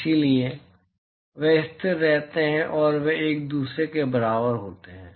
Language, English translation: Hindi, So, they remain constant and they are equal to each other